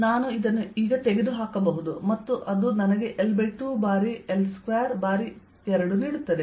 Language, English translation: Kannada, i can remove this now and this gives me l by two times, l square, two times